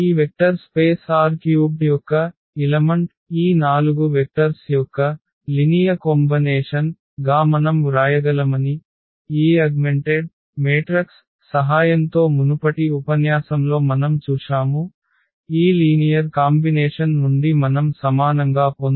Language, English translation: Telugu, The meaning was that any element of this vector space R 3 we can write as a linear combination of these 4 vectors, this is what we have seen in previous lecture with the help of this augmented matrix which we can get out of this linear combination equal to this v 1 v 2 v 3